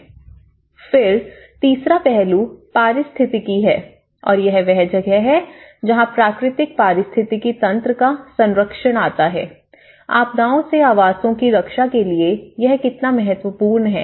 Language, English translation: Hindi, Then, the third aspect is the ecology and this is where the conservation of the natural ecosystem, how important is it, in order to protect the habitats from the disasters